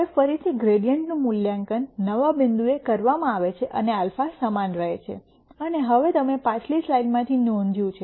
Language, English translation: Gujarati, Now, again the gradient is evaluated at the new point and the alpha remains the same and now you notice from the previous slides